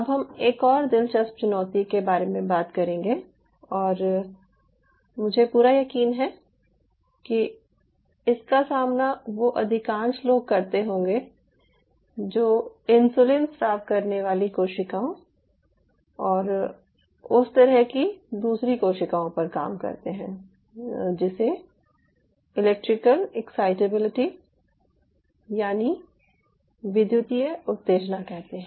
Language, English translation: Hindi, now we will talk about another interesting challenge which is faced by most of the excitable cells and i am pretty sure this is faced by people who work on insulin secretion cells and all those kind of other cell types is the electrical excitability